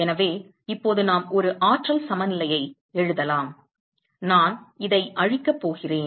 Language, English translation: Tamil, So, now we can write an energy balance I am going to erase this